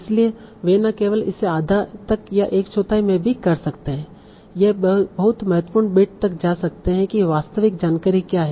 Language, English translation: Hindi, So they can not only reduce it to half, one fourth, you can also go down to the very critical bit